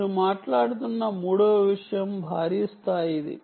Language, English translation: Telugu, the third thing you are talking about is massive scale